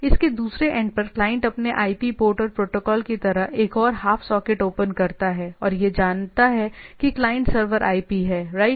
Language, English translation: Hindi, Client on its other end opens up another half socket like its IP port and the protocol and it knows that client server IP right, that has to be known right